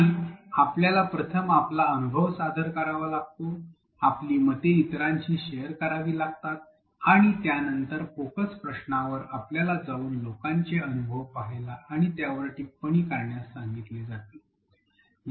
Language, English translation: Marathi, And, you had to come and first share your experience, share your opinions with others and then the focus question asked you to go and look at other people’s experiences and comment upon them